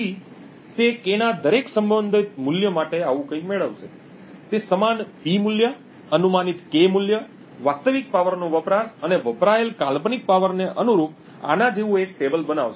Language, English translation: Gujarati, So, he would get something like this for every possible value of K he would be able to create a table like this corresponding to the same P value, a guessed K value, the real power consumed and the hypothetical power consumed